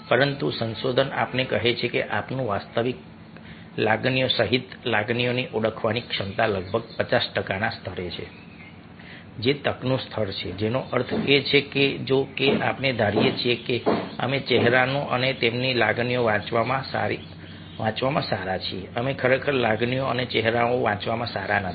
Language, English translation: Gujarati, but research tells us that our ability to identify emotions, including genuine emotions, is roughly at the level of fifty percent, which is chance level, which means that, although we assumed that we are good at reading faces and their emotions, we are actually not good at reading emotions and faces